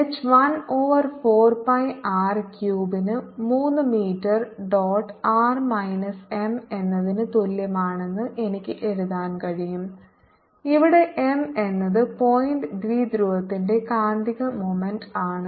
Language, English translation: Malayalam, i can make an analogy and i can just write that h is equal to one over four pi r cube three m dot r minus, sorry, r minus m, where m is the magnetic moment of the point dipole